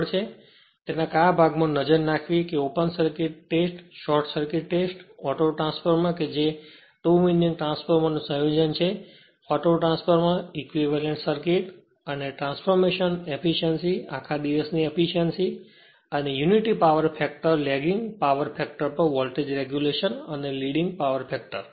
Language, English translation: Gujarati, Only thing what portion we have to your concentrate that is open circuit test, short circuit test, then your auto transformer right composition of the value of 2 winding transformer and autotransformer right and equivalent circuit and transformation and the efficiency as well as the all day efficiency and the voltage regulation for at unity power factor lagging power factor and leading power factor right